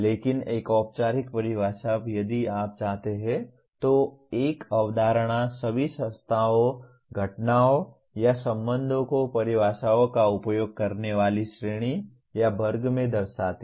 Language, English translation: Hindi, But a formal definition if you want, a concept denotes all the entities, phenomena and or relations in a given category or class of using definitions